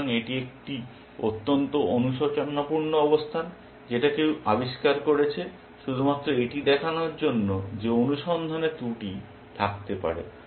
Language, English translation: Bengali, So, it is a very contrite position somebody invented it just to show that search can have its drawbacks